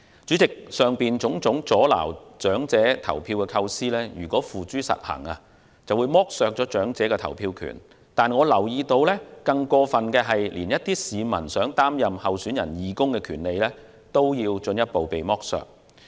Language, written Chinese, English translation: Cantonese, 主席，以上種種阻撓長者投票的構思，如付諸實行將剝削長者的投票權，但我留意到更過分的是，一些市民連擔任候選人義工的權利也被進一步剝削。, President the aforementioned ideas for preventing elderly people from voting if put into practice will deprive elderly people of their right to vote but what is more serious which has come to my attention is an attempt to deprive other people of their right to serve as volunteers of electioneering teams